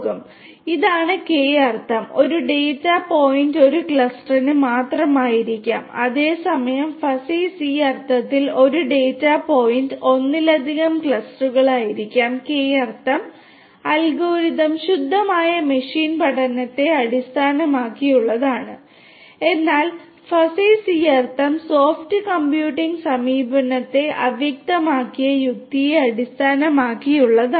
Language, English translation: Malayalam, So, this is this K means where one data point may belong to only one cluster whereas in Fuzzy c means one data point may belong to more than one cluster K means algorithm is based on pure machine learning whereas, Fuzzy c means is based on soft computing approach fuzzy logic